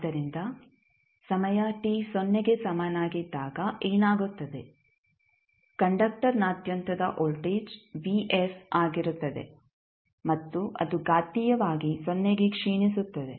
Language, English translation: Kannada, So, now what will happen that at time t is equal to 0 the voltage across conductor would be vf and then it would exponentially decay to 0